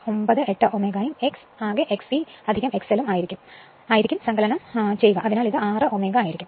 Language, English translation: Malayalam, 98 ohm and X total will be X e plus X L just see the addition so, it will be 6 ohm